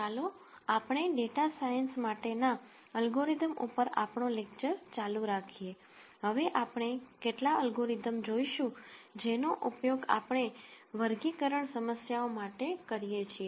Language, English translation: Gujarati, Let us continue our lectures on algorithms for data science, we will now see some algorithms that are used in what we call as the classification problems